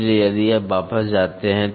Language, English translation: Hindi, So, if you go back